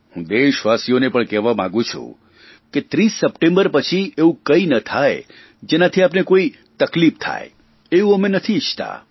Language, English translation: Gujarati, I want to say this to the people of the country that we do not wish that after the 30th September anything should happen that will cause difficulties for you